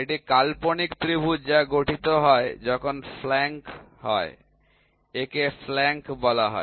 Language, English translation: Bengali, It is the imaginary triangle that is formed when the flank this is called as a flank, ok